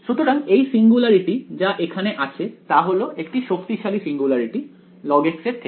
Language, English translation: Bengali, So, this singularity over here is in certain some sense a stronger singularity then log x right